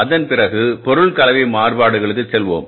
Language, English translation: Tamil, After that we will go for the material mix variances